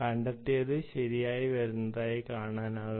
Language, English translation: Malayalam, you can see: detected comes right